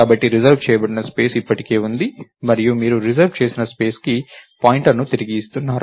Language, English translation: Telugu, So, the reserved space still exist and you are returning a pointer to the reserved space